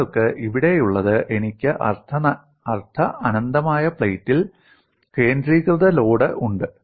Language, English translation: Malayalam, What you have here is, I have a concentrated load on a semi infinite plate, you have infinite boundary here